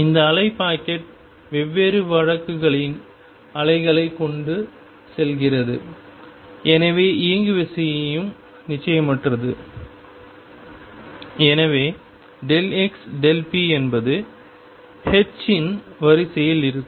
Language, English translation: Tamil, And this wave packet carries waves of different case so there is momentum also is uncertain and therefore, delta p delta x comes out to be of the order of h